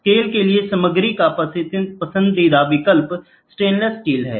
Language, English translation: Hindi, The preferred choice of material for the scale is stainless steel